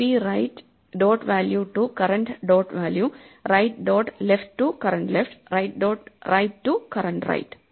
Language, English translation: Malayalam, So, we copy right dot value to the current value right dot left to the current left right dot right to the current right